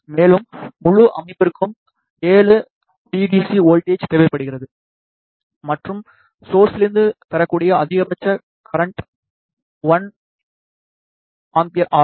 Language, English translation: Tamil, And, entire system requires a voltage of 7 volt DC and maximum current that can be drawn from the source is one ampere